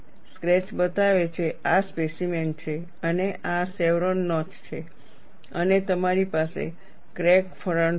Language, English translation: Gujarati, The sketch shows, this is the specimen and this is the chevron notch and you have the crack front